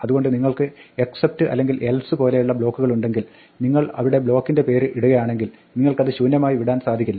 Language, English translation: Malayalam, So when you have blocks like except or else, if you put the block name there you cannot leave it empty